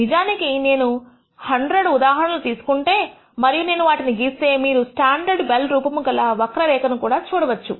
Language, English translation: Telugu, In fact, if I take 100 such examples and I plot, you will nd this standard bell shaped curve